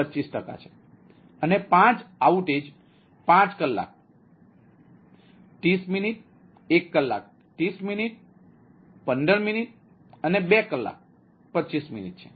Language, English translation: Gujarati, and there are five outages: five hours, thirty minutes, one hour thirty minutes fifteen minutes and two hour twenty five minutes